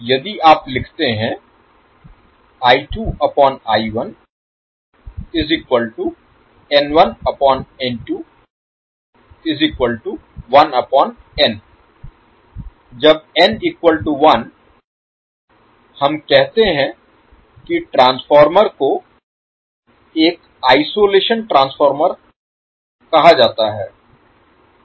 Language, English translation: Hindi, So when N is equal to one, we say transformer is called as a isolation transformer